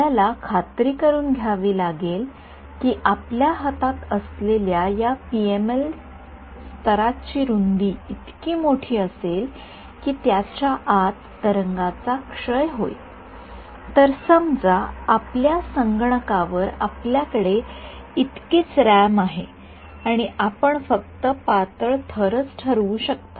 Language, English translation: Marathi, We have to ensure that the width of this PML layer which is in your hand had better be large enough that the wave decays inside the wave supposing it does not supposing you know you have only so much RAM on your computer and you can only fix you know thin layer